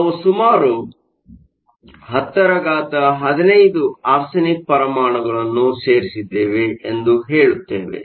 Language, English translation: Kannada, We say we added around 10 to the 15 arsenic atoms